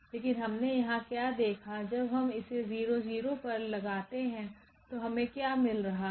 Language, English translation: Hindi, But what we observed here then when we apply this F on 0 0, what we are getting